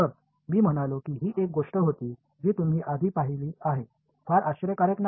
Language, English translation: Marathi, So, I mean this was something that you have already seen before not very surprising ok